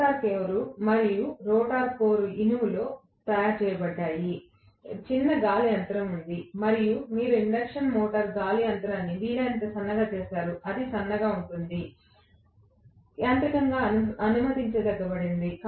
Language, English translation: Telugu, The rotor core as well as stator core are made up of iron, there is the small air gap and you will make the air gap as thin as possible in an induction motor, as thin as it could be, mechanically whatever is permissible